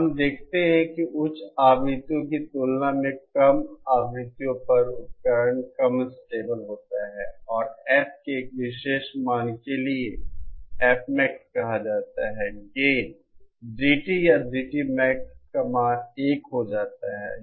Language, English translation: Hindi, And we see that at lower frequencies the device is less stable as compared to higher frequencies and for a particular value of F called F Max, the the gain, the value of GT or GT Max becomes one